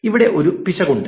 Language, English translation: Malayalam, So, there is an error here